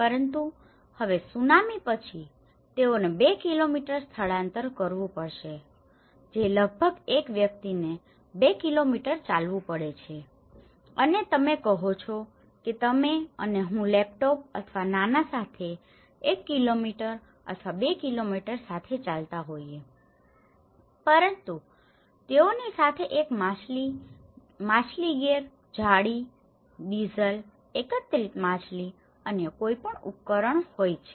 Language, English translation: Gujarati, But now, after the tsunami they have to relocate to two kilometres which is almost taking a person has to walk almost 2 kilometres and you say you and me are walking with a laptop or a small with one kilometre or two kilometres but they are walking with a fish gear, net, diesel, the collected fish, any other equipments